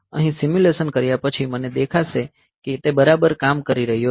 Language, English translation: Gujarati, So, here after doing the simulation I will find, it is fine it is working fine